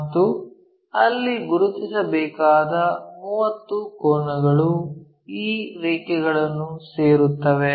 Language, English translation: Kannada, And, there 30 angles we have to locate join these lines